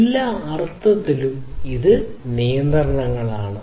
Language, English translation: Malayalam, So, in all respects these are constraints